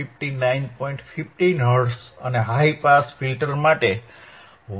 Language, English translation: Gujarati, 15 Hertz for low pass filter and 1